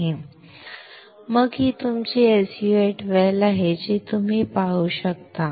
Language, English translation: Marathi, And then this is your SU 8 well you can see